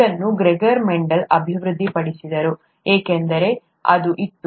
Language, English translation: Kannada, This was developed by Gregor Mendel, just because it was there